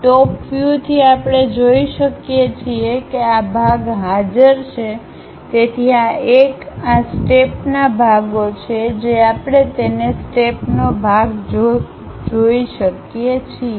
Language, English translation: Gujarati, From top view we can see that, this part is present so this one, these are the parts of the steps which we can see it part of the steps